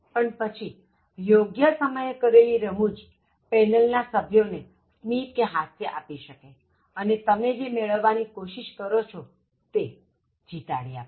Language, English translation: Gujarati, But then, very appropriate humour and a timely one, that makes the panel members smile or laugh, so that actually will kind of win you, the seat that you are trying for